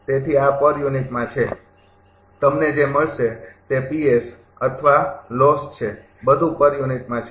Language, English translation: Gujarati, So, this is in per unit, whatever you will get P s or loss everything is in per unit